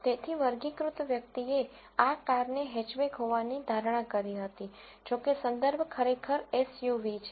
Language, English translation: Gujarati, So, the classifier predicted this car to be hatchback, however, the reference is really SUV